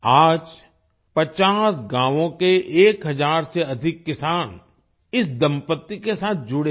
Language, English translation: Hindi, Today more than 1000 farmers from 50 villages are associated with this couple